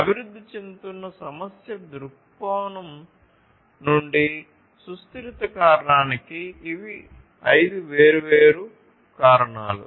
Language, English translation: Telugu, These are the five different contributors to the to the sustainability factor from an emerging issue viewpoint